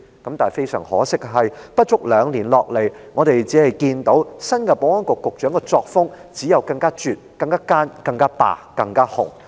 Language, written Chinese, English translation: Cantonese, 然而，非常可惜，不足兩年下來，我們只看到新任保安局局長的作風，只有更絕、更奸、更霸及更"紅"。, But unfortunately less than two years on we have only found the new S for Ss style to be more extreme more devious more imperious and more red